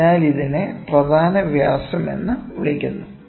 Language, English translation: Malayalam, So, this will be the minor diameter